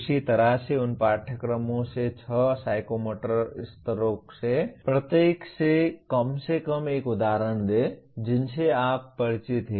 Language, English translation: Hindi, Same way give at least one example from each one of the six psychomotor levels from the courses you are familiar with